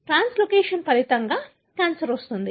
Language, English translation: Telugu, So, the translocation results in the cancer